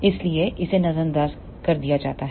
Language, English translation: Hindi, So, it has been ignored